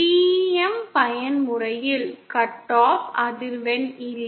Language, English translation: Tamil, For TEM mode no cut off frequency is there